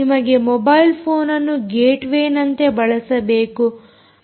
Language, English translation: Kannada, you still want to use the mobile phone as a gateway, all right